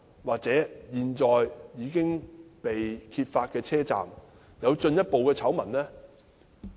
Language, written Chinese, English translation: Cantonese, 或現在已經被揭發的車站會否有進一步的醜聞？, Will there be further scandals related to the above stations?